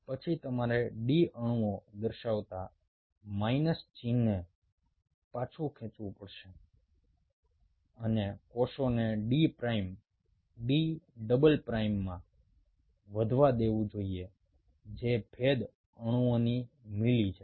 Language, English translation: Gujarati, then you have to withdraw the minus sign showing the d molecules and allow the cells to grow in d prime, d double prime, which is in the milli of differentiation molecules